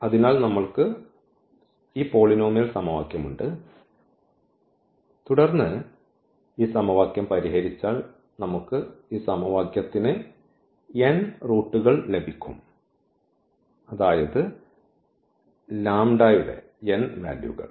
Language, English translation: Malayalam, So, we have this polynomial equation and then if we solve this equation we will get at most these n roots of this equation; that means, the n values of the lambdas